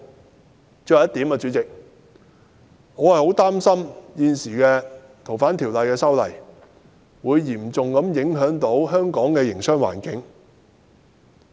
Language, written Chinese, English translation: Cantonese, 主席，我想說的最後一點，就是我很擔心現時《逃犯條例》的修訂，會嚴重影響香港的營商環境。, President the last point I would like to make is that I am deeply worried that the proposed amendments to the Fugitive Offenders Ordinance will have a serious impact on Hong Kongs business environment